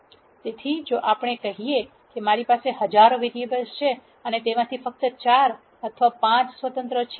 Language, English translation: Gujarati, So, if let us say I have thousands of variables and of those there are only 4 or 5 that are independent